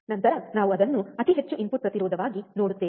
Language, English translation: Kannada, Then we will see it as a extremely high input impedance